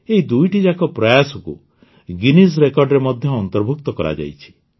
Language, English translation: Odia, Both these efforts have also been recorded in the Guinness Records